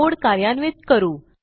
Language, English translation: Marathi, Let us run the code